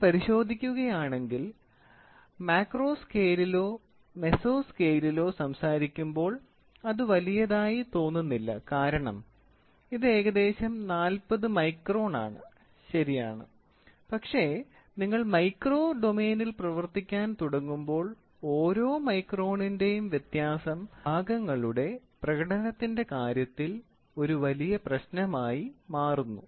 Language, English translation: Malayalam, As such if you look, it does not look big when you are trying to talk about it in macro scale or in meso scale because it is almost 40 microns, right, but when you start working in micro domain, each micron becomes a big change player in terms of performance